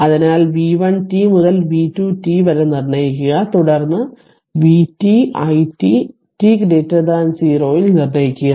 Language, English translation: Malayalam, Therefore you determine v 1 to v 2 to ah sorry v1 t v 2 t then v t and i t for t greater than 0 right